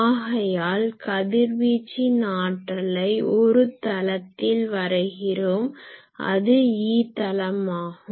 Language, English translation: Tamil, So, we are plotting that radiated power in the plane called E plane